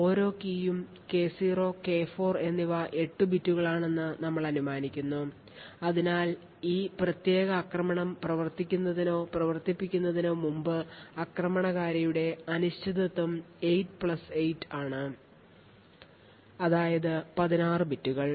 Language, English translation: Malayalam, Suppose we assume that each key K0 and K4 is of 8 bits, therefore before running or without running this particular attack the uncertainty of the attacker is 8 plus 8 that is 16 bits